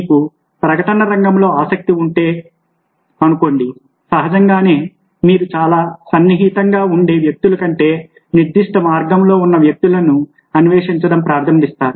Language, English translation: Telugu, let's see that if you're interested in the field of advertising, obliviously you will start exploring people who are in that particular line, rather than people who are very close friends